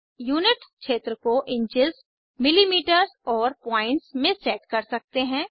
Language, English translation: Hindi, Unit field can be set in inches, millimetres and points